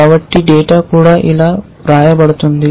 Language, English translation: Telugu, So, data itself is written like this